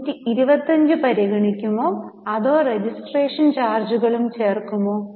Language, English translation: Malayalam, Will we consider 125 or we will add registration charges also